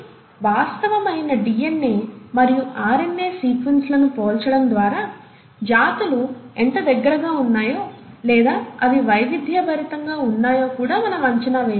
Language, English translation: Telugu, So by comparing the actual DNA and RNA sequences, we can also estimate how closely the species are inter related, or they have diversified